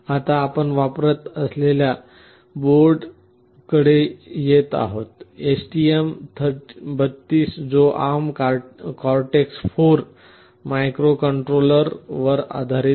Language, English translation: Marathi, Now, coming to the board that we would be using, STM32 that is based on the ARM Cortex M4 microcontroller